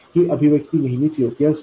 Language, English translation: Marathi, This expression is always correct